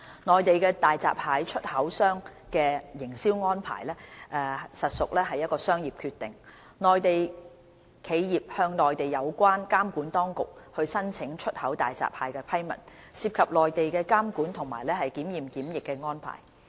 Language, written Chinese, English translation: Cantonese, 內地大閘蟹出口商的營銷安排屬商業決定，內地企業向內地有關監管當局申請出口大閘蟹的批文，涉及內地的監管及檢驗檢疫安排。, The marketing arrangements of the Mainland hairy crab exporters are commercial decisions . The applications by Mainland enterprises to Mainland authorities for approval to export hairy crabs involve regulatory inspection and quarantine arrangements in the Mainland